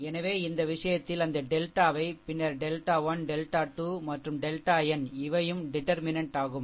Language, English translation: Tamil, So, in this case what we will do that delta is the determinant, and then the delta 1 delta 2 all delta n also determinant, but how to obtain this